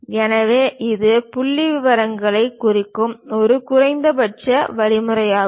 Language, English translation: Tamil, So, it is a minimalistic way of representation, representing figures